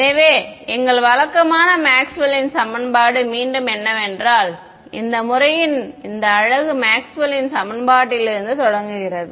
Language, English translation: Tamil, So, what is our usual Maxwell’s equation again this beauty of this method is to start with starts with Maxwell’s equation